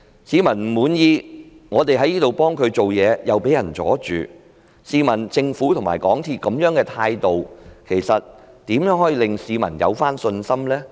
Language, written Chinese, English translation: Cantonese, 市民不滿意，我們在本會替他們採取行動，又遭到阻撓，試問政府和港鐵公司這樣的態度，如何令市民重拾信心呢？, Members of the public are dissatisfied and when we in this Council try to take actions on their behalf we are barred from doing so . When the Government and MTRCL take such an attitude how can public confidence be restored?